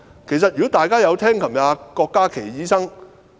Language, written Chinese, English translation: Cantonese, 其實，如果大家昨天有聽郭家麒醫生......, Actually if Members did listen to Dr KWOK Ka - ki yesterday a very clear description of the situation was given in his speech